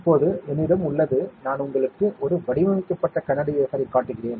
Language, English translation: Tamil, Now, I have; I will show you a patterned glass wafer